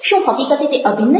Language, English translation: Gujarati, are they actually integral